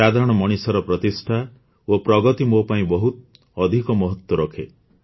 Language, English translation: Odia, The esteem and advancement of the common man are of more importance to me